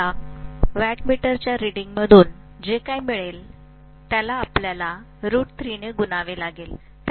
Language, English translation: Marathi, So whatever I get from the wattmeter reading, I have to multiply that by root 3